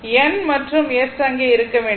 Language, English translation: Tamil, N and S it has to be there